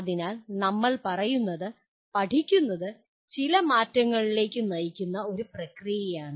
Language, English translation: Malayalam, So, what we are saying is learning is a process that leads to some change